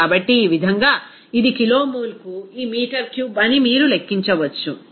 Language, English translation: Telugu, So, in this way, you can calculate that this will be this meter cube per kilomole